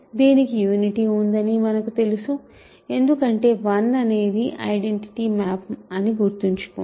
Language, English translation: Telugu, We know that it has a unity because, remember 1 is define to be the identity map